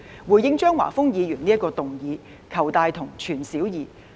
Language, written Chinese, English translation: Cantonese, 回應張華峰議員這項議案，我們要"求大同、存小異"。, In response to Mr Christopher CHEUNGs motion we must seek the largest common ground while reserving small differences